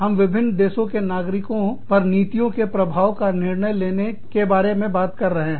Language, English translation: Hindi, We are talking about, impact of policy decision making on nationals, of different countries